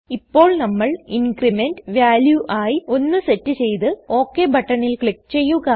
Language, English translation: Malayalam, Now we set the Increment value as 1 and finally click on the OK button